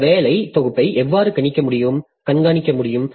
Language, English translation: Tamil, So, how can I keep track of this working set